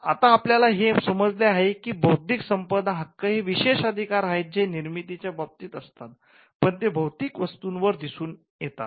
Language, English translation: Marathi, So, we understand intellectual property rights as exclusive rights in the creative content, then manifests in a physical product